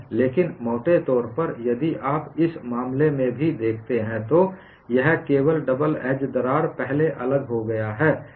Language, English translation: Hindi, In fact, by enlarge if you look at even in this case, it is only the double edge crack has got separated first